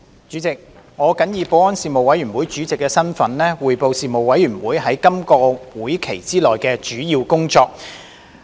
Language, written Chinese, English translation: Cantonese, 主席，我謹以保安事務委員會主席的身份，匯報事務委員會在今個會期內的主要工作。, President in my capacity as Chairman of the Panel on Security the Panel I report on the major work of the Panel in this session